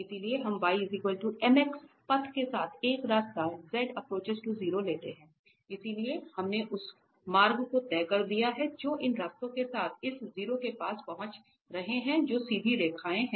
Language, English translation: Hindi, So, we take a path here now z approaches to 0 along this y equal to mx, so we have fixed the path that we are approaching to this 0 along these paths here which are straight lines